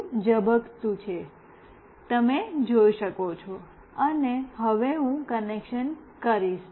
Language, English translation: Gujarati, Itis still blinking you can see that, and now I will do the connection